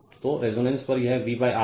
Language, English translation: Hindi, So, at resonance that is V upon R